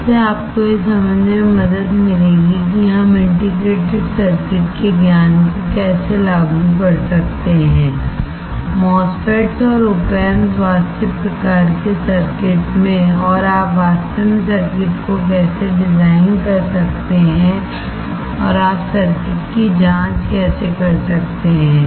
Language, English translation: Hindi, This will help you to understand how we can apply the knowledge of integrated circuits: MOSFETs and op amps into actual kind of circuits and how you can really design the circuits, and how you can check the circuits